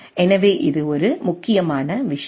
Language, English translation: Tamil, So, this is a important thing to know